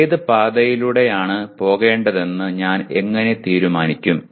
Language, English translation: Malayalam, How do I decide which paths to go down